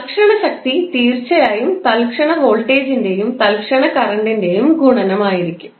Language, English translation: Malayalam, Instantaneous power it will be definitely a product of instantaneous voltage and instantaneous current